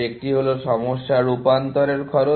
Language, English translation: Bengali, One is cost of transforming a problem